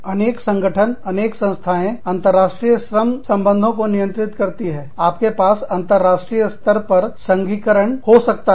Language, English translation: Hindi, Various organizations, various associations, governing, international labor relations are, you could have, unionization, on an international level